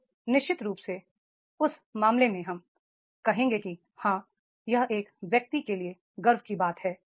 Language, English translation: Hindi, Then definitely in that case we will say that yes, that is becoming a matter of pride for an individual, right